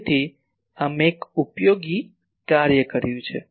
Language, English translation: Gujarati, So, we have done an useful thing